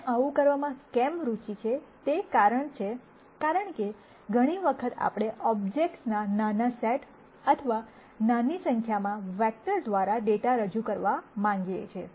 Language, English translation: Gujarati, The reason why we are interested in doing this is, because many times we might want to represent data through a smaller set of objects or a smaller number of vectors